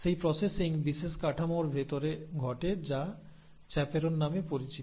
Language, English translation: Bengali, So, that processing happens inside special structures which are called as chaperones